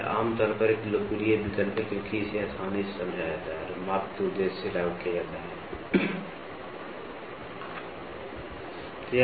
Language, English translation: Hindi, It is generally a popular choice as it is easily understood and applied for the purpose of measurement